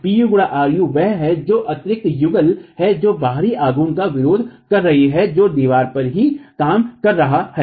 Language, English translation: Hindi, U into RU is what is the internal couple that is forming to resist the external moment that is acting on the wall itself